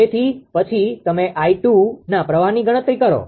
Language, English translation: Gujarati, So, then you compute the current for i 2